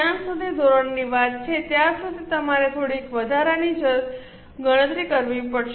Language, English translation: Gujarati, As far as the standard is concerned, you will have to make some extra calculation